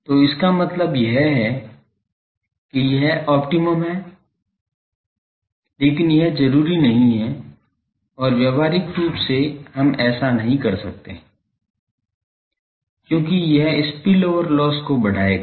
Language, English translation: Hindi, So, that mean this is optimum, but this is not desirable and practically we cannot do that because, that will give rise to high spill over loss